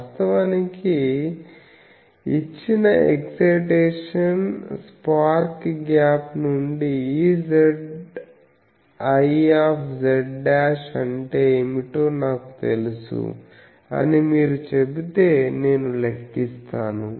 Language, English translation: Telugu, Actually from the given excitation spark gap, if you say I know what is E z i, I will calculate